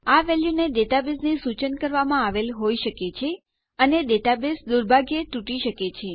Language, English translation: Gujarati, This value may have been instructed from the data base and data bases can be broken into unfortunately